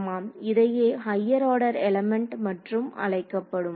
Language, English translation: Tamil, Right those are called higher order elements